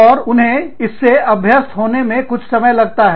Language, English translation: Hindi, And, it takes some, getting used to